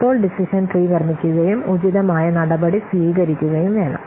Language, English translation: Malayalam, So now we have to construct the decision tree and take the appropriate action